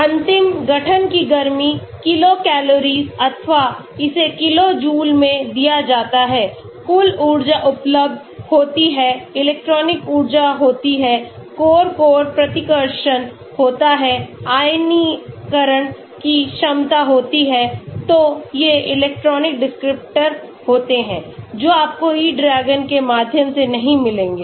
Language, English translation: Hindi, Final heat of formation, kilo calories or it is given in kilo joules, total energy is available, electronic energy is there, core core repulsion is there , ionization potential is there so these are electronic descriptors, which you will not get from E DRAGON